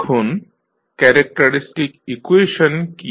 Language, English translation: Bengali, Now, what is the characteristic equation in this